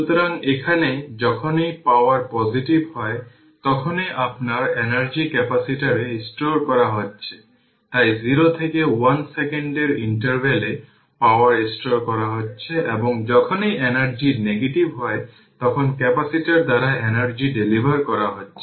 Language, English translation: Bengali, So, here that your energy is being stored in the capacitor whenever the power is positive, hence energy is being stored in the interval 0 to 1 second right and energy is being delivered by the capacitor whenever the power is negative